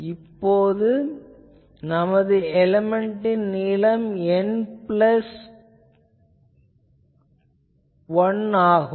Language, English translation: Tamil, So, array factor will be so, now our element length is still N plus one